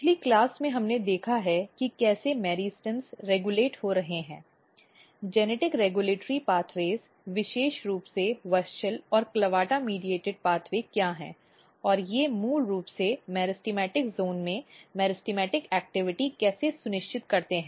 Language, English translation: Hindi, So, in last class we have seen how meristems are getting regulated, what are the genetic regulatory pathways particularly WUSCHEL and CLAVATA mediated pathway and how they basically ensures meristematic activity in the meristematic zone